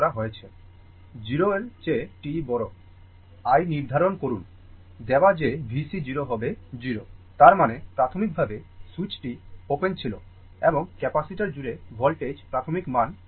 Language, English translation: Bengali, Determine i for t greater than 0 given that V C 0 is 0; that means, initially switch was open and initial values of voltage across the capacitor is 0